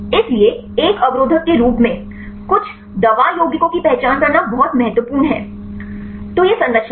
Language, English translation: Hindi, So, it is very important to identify to some drug compounds as an inhibitors; so this is the structure